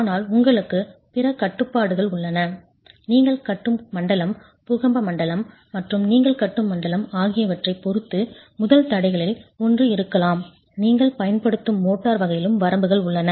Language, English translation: Tamil, One of the first constraints may be depending on the zone in which you are constructing, the earthquake zone in which you are constructing, you also have limitations on the motor type that you will use